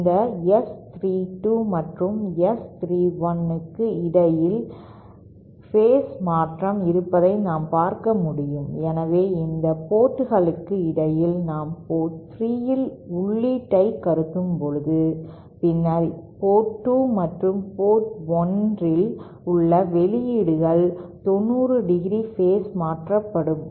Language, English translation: Tamil, As we can see the phase shift between this S 32 and say S 31, so between these sports, when suppose we assume an input at port 3, then the outputs at port 2 and port 1 are 90¡ phase shifted